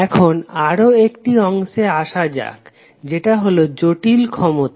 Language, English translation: Bengali, Now let’s come to another term called Complex power